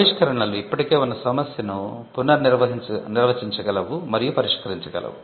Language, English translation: Telugu, Inventions can redefine an existing problem and solve it